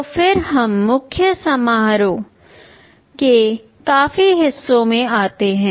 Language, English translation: Hindi, Then let us come to the rest of the main function